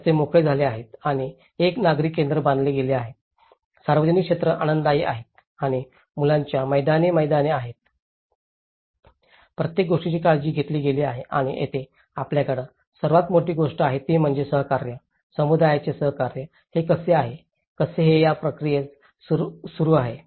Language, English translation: Marathi, The streets are paved and a civic centre was built, public areas are pleasant and children playgrounds, everything has been taken care of and this is where, we see the biggest thing is the cooperation, the cooperation from the community, this is how, how it is continuing in this process